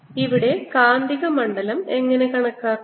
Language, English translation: Malayalam, how do i calculate the magnetic field here